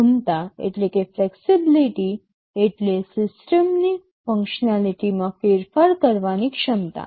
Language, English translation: Gujarati, Flexibility means the ability to change the functionality of the system